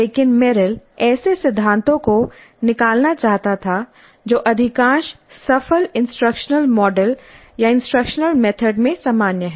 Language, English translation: Hindi, But Merrill wanted to extract such principles which are common across most of the successful instructional models or instructional methods